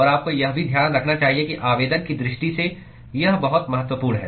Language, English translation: Hindi, And also you should keep in mind that it is very, very important from application point of view